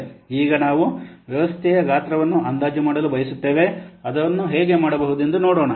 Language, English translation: Kannada, Now we want to estimate the size of the system